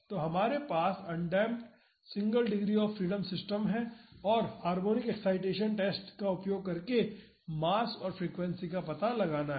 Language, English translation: Hindi, So, we have an undamped single degree of freedom system and it is mass and frequency are to be found out using harmonic excitation test